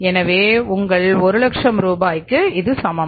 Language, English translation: Tamil, This 1 lakh is equal to 100,000 is equal to 100,000